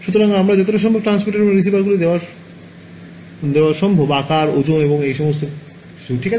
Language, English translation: Bengali, So, I should put as many transmitters and receivers as is possible given size, weight and all of these things ok